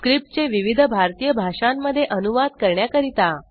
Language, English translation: Marathi, To translate the script into various Indian Languages